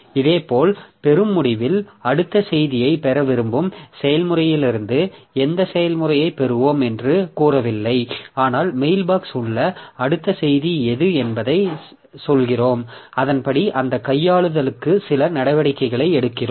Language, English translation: Tamil, Similarly, at the receiving end we are not telling from which process we will be receiving the, we want to receive the next message but we are just telling that which is the what is the next message that we have in the mailbox and accordingly take some action for doing that handling it